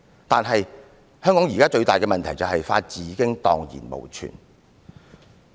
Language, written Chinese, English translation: Cantonese, "可是，香港現時最大的問題就是法治已經蕩然無存。, However at present the biggest problem is that there the rule of law no longer exists in Hong Kong